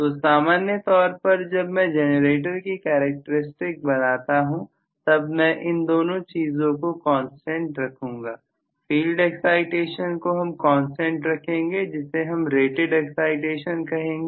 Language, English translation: Hindi, So, generally when I draw the generator characteristics I would like to keep this 2 as a constant, the field excitation I would keep as a constant at rated excitation